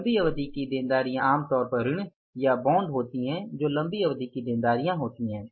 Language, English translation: Hindi, Long term liabilities are normally loans or the bonds, de ventures